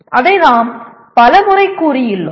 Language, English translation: Tamil, We have said it several times